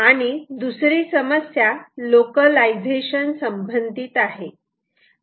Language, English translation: Marathi, the second hard problem is related to localization